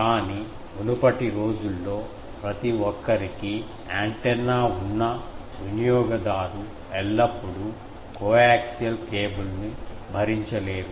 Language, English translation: Telugu, But, in earlier days when everyone was having an antenna, it was that user cannot afford always a coaxial cable